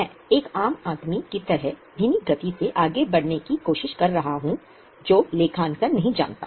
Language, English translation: Hindi, I am trying to go very much of a layman who doesn't know accounting